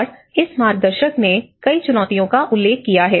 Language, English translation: Hindi, And this guide have noted a number of challenges